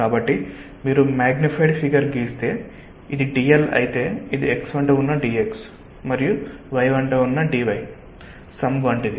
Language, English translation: Telugu, so if you draw a magnified figure, if this is d l, it is like the sum of d x along x and d y along y